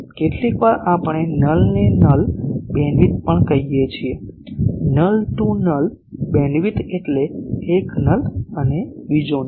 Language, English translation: Gujarati, Sometimes we also say null to null beamwidth; null to null beamwidth means one null and another null